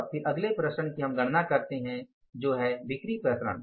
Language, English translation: Hindi, And then next variance we calculate is the sales variances